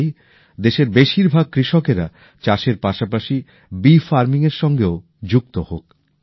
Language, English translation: Bengali, I wish more and more farmers of our country to join bee farming along with their farming